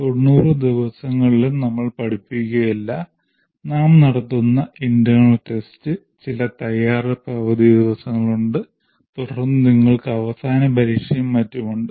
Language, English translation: Malayalam, We are conducting internal tests, there are some preparatory holidays, then you have final examination and so on